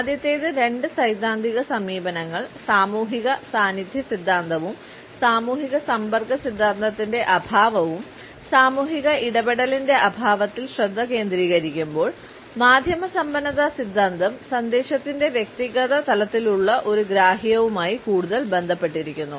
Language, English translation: Malayalam, Whereas the first two theoretical approaches, the social presence theory and the lack of social contact hypothesis, focus on the absence of social interaction, the media richness theory is more related with a comprehension at an individual level